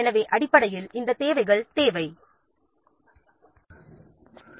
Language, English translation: Tamil, So, basically, these resources requirements are needed